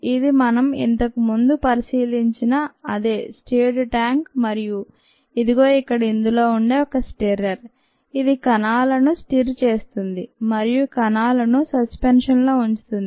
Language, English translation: Telugu, ok, this is the same stirred tank that we considered earlier and this is a stirrer here which stirs and keeps the cells and suspension when operated